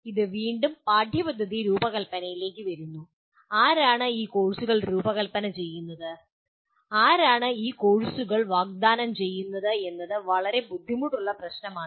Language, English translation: Malayalam, And again it brings it back to curriculum design and who will design these courses and who will offer these courses is a fairly difficult issue to address